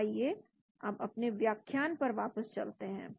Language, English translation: Hindi, So let us go back to our presentation